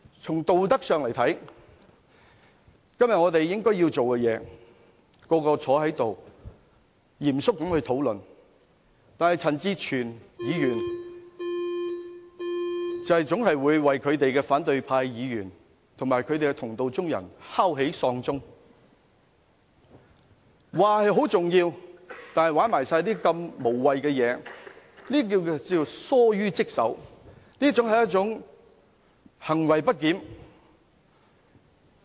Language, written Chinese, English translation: Cantonese, 從道德上來看，我們今天應該要做的是，大家坐在議事堂內嚴肅討論，但陳志全議員總會為反對派議員及同道中人敲起喪鐘，說事情很重要，卻玩弄如此無謂的東西，這是疏於職守、行為不檢。, From the perspective of morality we should sit down in the Chamber and deliberate solemnly . However Mr CHAN Chi - chuen always will sound the death knell for opposition Members and their allies claiming that there are important issues involved yet they are now playing such pointless tricks . They have in fact failed in their duties and behaved disorderly